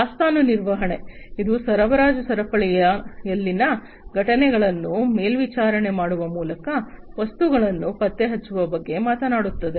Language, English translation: Kannada, Inventory management, it talks about tracking of items by monitoring events in the supply chain